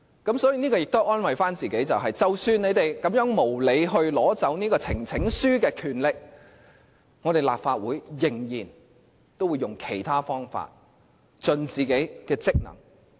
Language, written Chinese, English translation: Cantonese, 因此，我們可以安慰自己，即使他們無理地取走提呈請書的權力，立法會仍然會以其他方法盡力履行自己的職能。, For these reasons we can comfort ourselves by saying that even if they unjustifiably rip us of the power of presenting petitions the Legislative Council will still strive to perform its functions and duties by other means